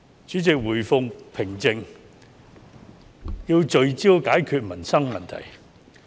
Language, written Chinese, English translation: Cantonese, 主席，社會回復平靜，便要聚焦解決民生問題。, President as society restores calm we should focus on solving livelihood issues